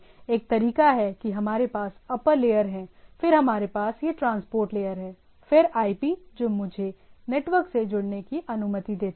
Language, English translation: Hindi, One way that we have upper layer things, then we have this transport layer, then IP which allows me to connect to the thing